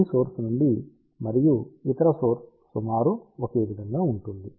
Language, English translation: Telugu, From this element and the other element will be approximately same